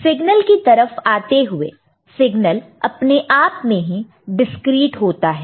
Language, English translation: Hindi, Now coming to the signal, the signal by itself can be discrete in nature